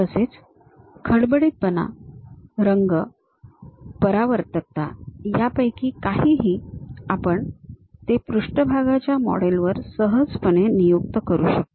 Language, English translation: Marathi, And anything about roughness, color, reflectivity; we can easily assign it on surface models